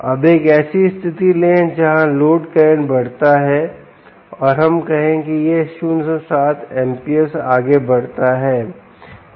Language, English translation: Hindi, now take a situation where the load current increases and let us say it goes to ah, point seven volts, point seven amps